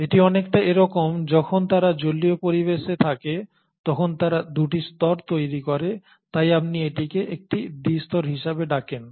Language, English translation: Bengali, So it is almost like when they are sitting in an aqueous environment they end up forming 2 layers, that is why you call it as a bilayer